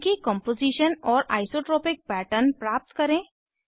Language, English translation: Hindi, Obtain their Composition and Isotropic pattern